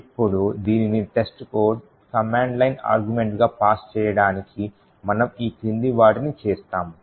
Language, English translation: Telugu, Now in order to pass this as the command line argument to test code we do the following we run test code as follows